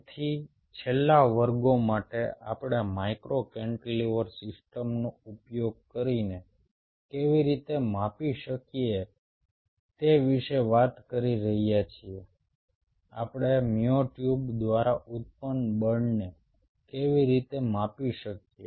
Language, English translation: Gujarati, so for last classes we have been talking about how we can measure using a micro cantilever system, how we can measure the force generated by the myotubes